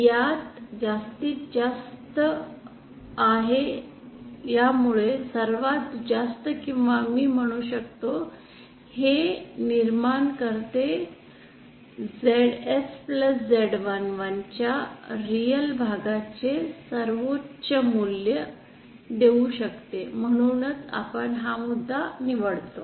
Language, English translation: Marathi, This has the maximum, this creates the most I can say the most or the highest or give the highest value of the real part of ZS plus Z 1 1 that why we choose this point